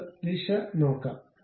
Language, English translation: Malayalam, Let us look at the direction